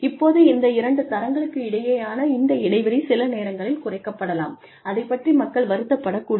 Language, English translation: Tamil, Now, this gap, between, these two grades, is sometimes reduced, so that people, do not feel